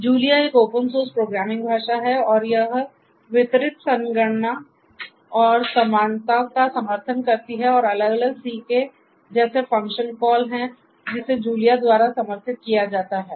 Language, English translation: Hindi, So, Julia is a open source programming language and it supports distributed computation and parallelism and there are different c like called function calls that are supported by Julia